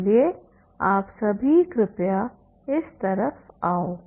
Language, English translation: Hindi, So please you, all of you come this side